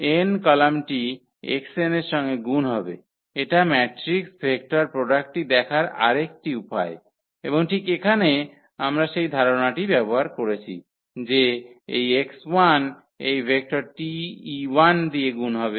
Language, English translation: Bengali, The column n will be multiplied to x n that is another way of looking at the matrix vector product and here exactly we have used that idea that this x 1 multiplied by this vector T e 1